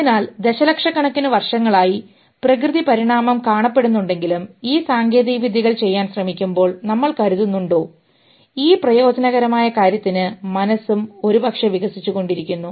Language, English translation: Malayalam, So do we think although natural evolution is seen in millions of years, but do we think while we are trying to do this technology stuff for this utility thing, mind is also evolving